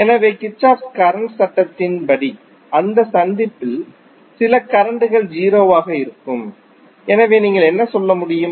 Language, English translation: Tamil, So, as per Kirchhoff Current Law your some of the currents at that junction would be 0, so what you can say